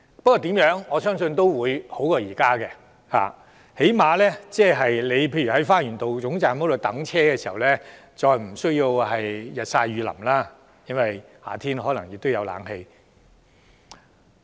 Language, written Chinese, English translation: Cantonese, 不過，我相信情況總會較現時好，至少當乘客在花園道總站候車時，再也無須日曬雨淋，並且在夏天也可以享受冷氣。, Nevertheless I believe things will after all be better than what it is now because passengers waiting at the Lower Terminus at Garden Road will no longer be exposed to the sun and rain and they can at least wait in an air - conditioned waiting area during summer